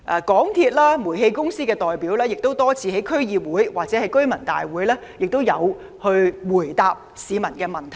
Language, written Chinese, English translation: Cantonese, 港鐵公司及煤氣公司的代表亦多次在區議會或居民大會上答覆市民的問題。, Representatives of MTRCL and the Towngas have also answered questions from people in DC and residents meetings on many occasions